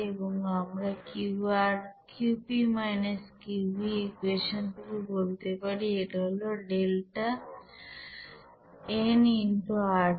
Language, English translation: Bengali, And we can say that from the equation like Qp – Qv we know that this is delta n into RT